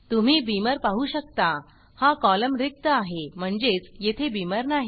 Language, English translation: Marathi, You can see Beamer – this column is blank – suggesting that we do not have Beamer